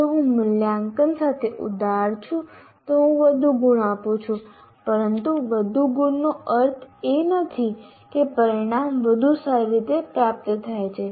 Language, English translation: Gujarati, If I am strict or liberal with that, I am giving more marks, but more marks doesn't mean that I have attained my outcome